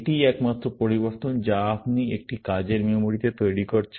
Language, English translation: Bengali, That is the only change you are making into a working memory